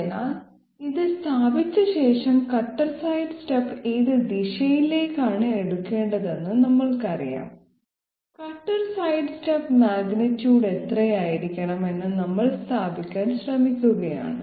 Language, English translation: Malayalam, So after having established this one that is we now know the direction in which the cutter sidestep has to be taken, we are trying to establish the magnitude how much should be the cutter path sorry cutter sidestep magnitude